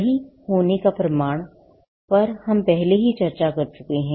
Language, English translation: Hindi, Now, proof of right, we had already discussed this